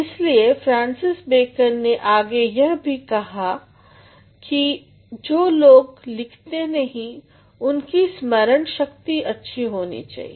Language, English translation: Hindi, So, Francis Bacon said later that people who write less need a good memory